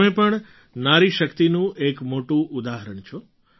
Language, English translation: Gujarati, You too are a very big example of woman power